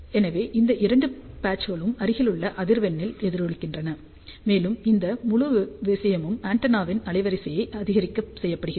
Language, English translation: Tamil, So, these two patches resonate at nearby frequency and this whole thing is done to increase the bandwidth of the antenna